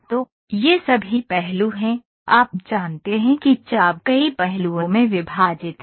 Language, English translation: Hindi, So, these are all facets know the arc is divided into several facets